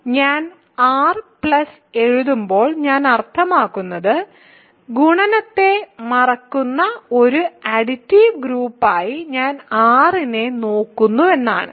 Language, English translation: Malayalam, So, when I write R coma plus I mean I am insisting to that I am looking at R as an additive group forgetting the multiplication